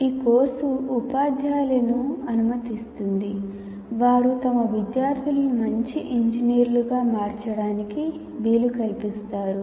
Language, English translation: Telugu, The course enables the teachers who in turn can facilitate their students to become a good engineer's